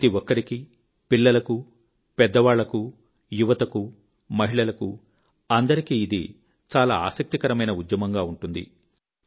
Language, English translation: Telugu, It will be a very interesting campaign for everyone children, the elderly, the young and women and it will be your own movement